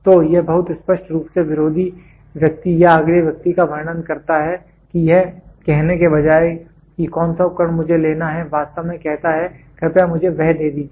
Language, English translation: Hindi, So, it is very clearly describes to the opponent person or the next person what instruments to pick rather than exactly saying please give me that